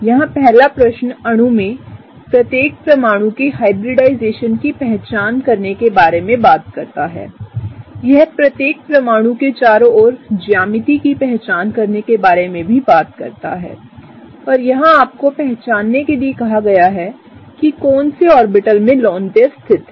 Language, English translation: Hindi, The first question here talks about identifying the hybridization of each atom in the molecule, it also talks about identifying the geometry around each atom and it asks you to identify in which orbitals are the lone pair situated, right